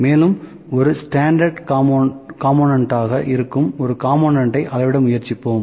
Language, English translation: Tamil, And also will try to measure one component that would be kind of a standard component